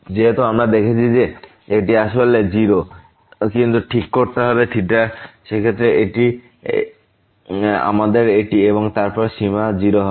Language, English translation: Bengali, As we have seen that this is indeed 0, but in that case we have to fix this theta and then the limit is 0